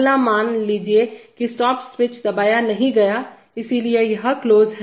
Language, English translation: Hindi, Next, suppose the stop switch is not pressed, so it is off